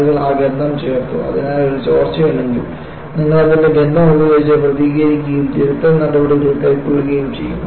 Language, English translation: Malayalam, People have added that smell, so that, if there is a leak, you would respond to it by smell and go on to take corrective measures